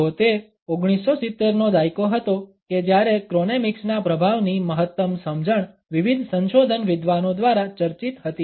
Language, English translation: Gujarati, So, it is in this decade of 1970s that the maximum understanding of the impact of chronemics was being talked about by various research scholars